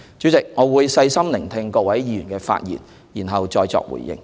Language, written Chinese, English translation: Cantonese, 主席，我會細心聆聽各位議員的發言，然後再作回應。, President I will continue to listen closely to speeches to be delivered by Members and then I will give my response